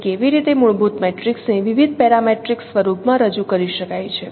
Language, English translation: Gujarati, So how fundamental matrix can be represented in different no parametric form